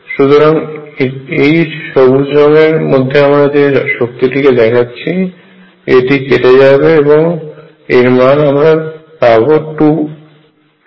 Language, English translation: Bengali, So, the energy is determined by this term in green, so this cancels again this gives me 2